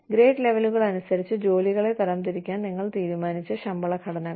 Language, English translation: Malayalam, The pay structures, that you decide to classify jobs, by grade levels